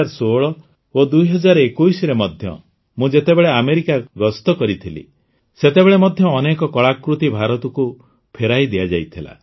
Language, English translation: Odia, Even when I visited America in 2016 and 2021, many artefacts were returned to India